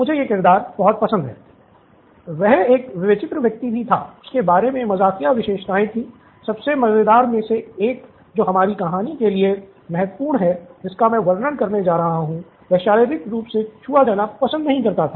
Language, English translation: Hindi, He was also a quirky guy he had funny characteristics about him, one of the most funny ones that is important for our story that I am going to describe is that he didn’t like to be touched, physically touched